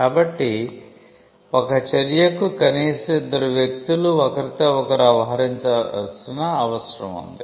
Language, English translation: Telugu, So, an act requires at least two people to deal with each other